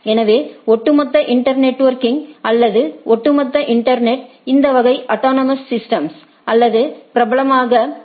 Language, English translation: Tamil, So, overall inter networking or a overall internet is of this type of autonomous systems or popularly known as AS